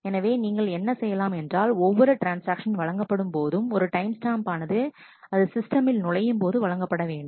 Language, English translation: Tamil, So, what you do in here is each transaction is issued a timestamp when it enters the system